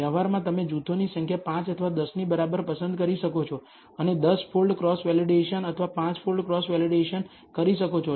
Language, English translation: Gujarati, In practice you can choose the number of groups equal to either 5 or 10 and do a 10 fold cross validation or 5 fold cross validation